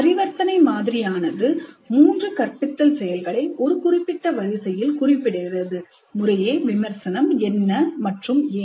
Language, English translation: Tamil, The transaction model lists these three instructional activities in one specific order, review what and why